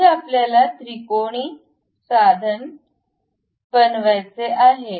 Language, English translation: Marathi, So, here we want to construct a triangular tool